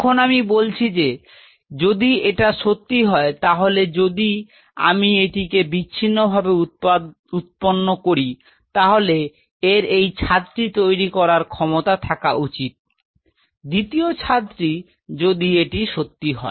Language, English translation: Bengali, Now I say well if this is true, then if I grow this in isolation it should be able to form this roof second roof if this is true